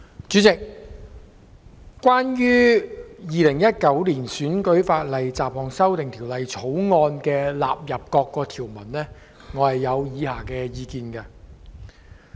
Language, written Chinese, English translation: Cantonese, 主席，關於《2019年選舉法例條例草案》納入各項的條文，我有以下意見。, Chairman on the question of the clauses standing part of the Electoral Legislation Bill 2019 the Bill I have the following views